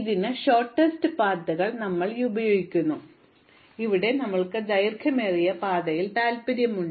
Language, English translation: Malayalam, So, unlike other problems where we might be looking at shortest paths, here we are actually interested in the longest path